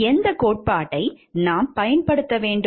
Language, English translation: Tamil, Which theory should we use